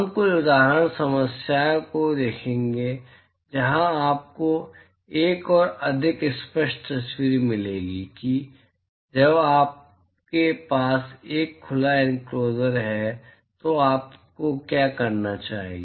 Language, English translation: Hindi, We will see some example problems where you will get a much more clear picture as to what you should do when you have a open enclosure all right